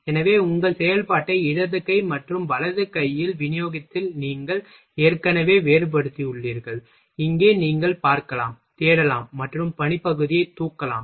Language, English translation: Tamil, So, you have already distinguished in a distributed all your operation in a left hand and right hand here you can see, searching and lifting workpiece